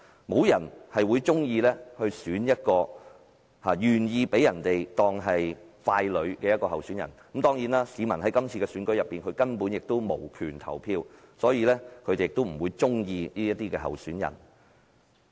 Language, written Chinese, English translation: Cantonese, 沒有人會喜歡一個甘心被當成傀儡的候選人當選，但市民在這次選舉中根本無權投票，所以，他們不會喜歡這位候選人。, Nobody likes to see a candidate who willingly becomes a puppet being elected but the fact is that members of the public do not have the right to vote in this election so they are not going to like this candidate